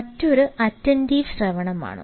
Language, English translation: Malayalam, another is attentive listening